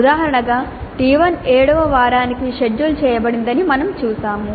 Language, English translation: Telugu, As an example, we saw that T1 is scheduled for week 7